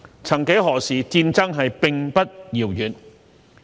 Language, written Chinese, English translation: Cantonese, 曾幾何時，戰爭並不遙遠。, War was not that distant years back